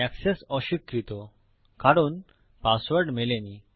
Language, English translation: Bengali, This is because the passwords do not match